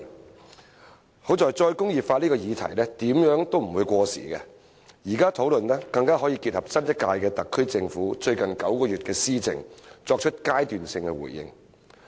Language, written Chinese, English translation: Cantonese, 幸好"再工業化"這個議題，怎樣也不會過時，現在討論更可以結合新一屆特區政府最近9個月的施政，作出階段性的回應。, Fortunately this topic of re - industrialization is never out of date . When we discuss it now we can even take into account the implementation of policies by the new SAR Government in the past nine months and make interim responses